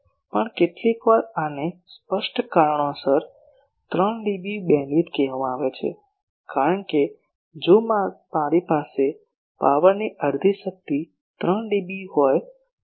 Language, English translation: Gujarati, Also sometimes this is called 3dB beamwidth for obvious reasons, because half power in power if I have a half power that is 3dB